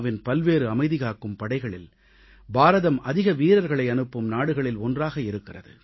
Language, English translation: Tamil, Even today, India is one of the largest contributors to various United Nations Peace Keeping Forces in terms of sending forces personnel